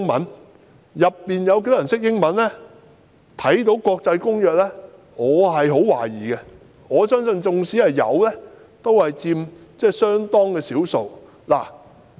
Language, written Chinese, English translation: Cantonese, 至於當中有多少人懂英文，並看得懂國際公約，我抱有很大疑問，我相信即使有，也只佔相當少數。, As to how many of them can understand English and read international conventions I have grave doubts and I believe that such people are rare if not none